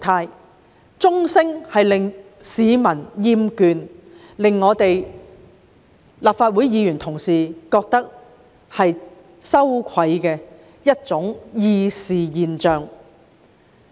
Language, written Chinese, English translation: Cantonese, 傳召鐘聲不但教市民厭倦，亦是令立法會議員感到羞愧的議事現象。, The ringing of the summoning bell is not only annoying to the public but also shameful to Legislative Council Members in the course of deliberation